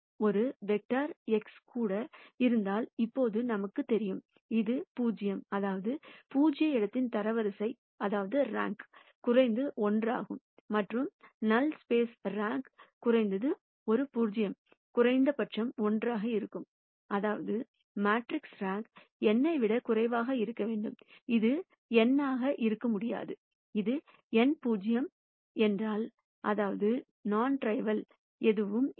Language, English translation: Tamil, Now we know that if there is even one vector x; such that this is 0; that means, then rank of the null space is at least 1, and since the rank of the null space is at least one nullity is at least 1; that means, the rank of the matrix has to be less than n right, it cannot be n, if this is n nullity is 0, that means, there are no non trivial solutions